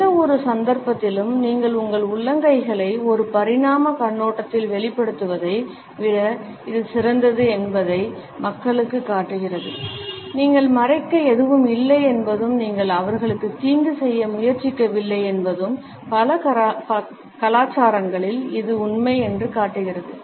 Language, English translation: Tamil, In either case you are better off revealing your palms than not from an evolutionary perspective what this shows people is that you have nothing to hide you are not trying to do them harm this is a true across many many cultures